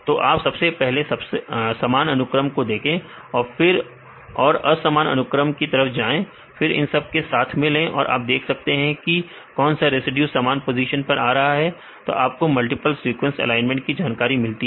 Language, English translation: Hindi, So, you can first see the similar sequences then go with this dissimilar sequences then put it together and you can see which residues which come in the same position you can get the information for a multiple sequence alignment